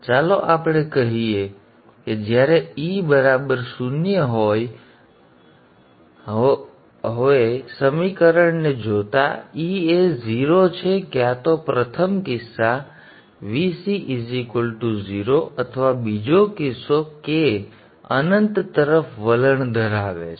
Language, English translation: Gujarati, Now looking at the equation, E is 0 either first case Vc is equal to 0 or second case, k tends to infinity